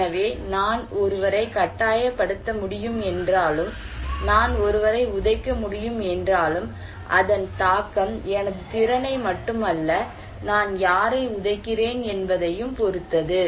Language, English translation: Tamil, So, even though I can force someone, I can just kick someone, but it impact depends not only on my capacity but also whom I am kicking